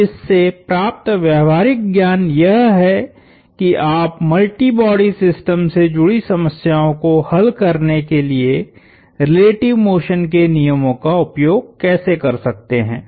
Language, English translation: Hindi, So, this gives as a sense for what, how you can use the laws of relative motion to solve problems involving multi body systems